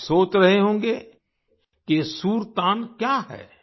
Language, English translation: Hindi, You must be wondering, what is this 'Sur Tan